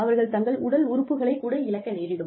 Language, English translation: Tamil, They may lose a limb